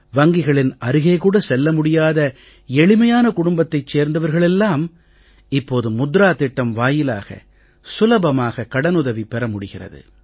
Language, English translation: Tamil, People from normal backgrounds who could not step inside banks can now avail loan facilities from the "Mudra Yojana